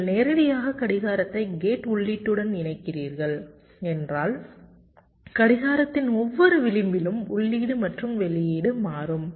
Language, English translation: Tamil, now, if you are directly connecting the clock with the gate input, so the input as well as the output will be changing at every edge of the clock